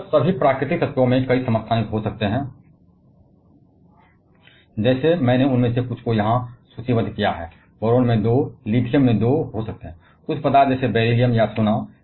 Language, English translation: Hindi, Mostly all natural elements can have several isotopes; like, I have listed here some of them, boron can have 2, lithium can have 2